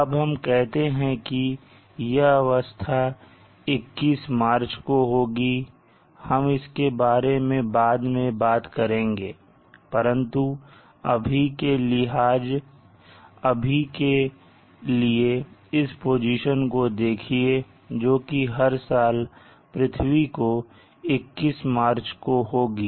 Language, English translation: Hindi, Now let us say this position occurs on 21st March I will talk about this later but for now let us say at this position it is occurring every year on 21st March